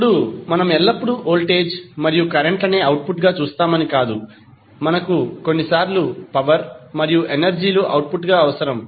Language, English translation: Telugu, Now, it is not that we always go with voltage and current as an output; we sometimes need power and energy also as an output